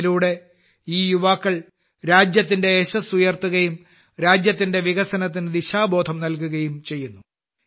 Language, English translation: Malayalam, Subsequently, these youth also bring laurels to the country and lend direction to the development of the country as well